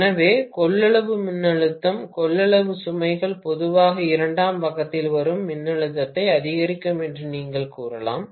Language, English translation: Tamil, So, you can say that capacitive voltage, capacitive loads normally increase the voltage that comes out on the secondary side